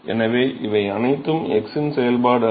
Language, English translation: Tamil, So, all these are not function of x